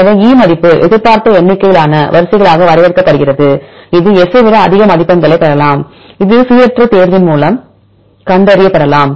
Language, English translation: Tamil, So, E value is defined as the expected number of sequences, which can get score more than S let it be found by random choice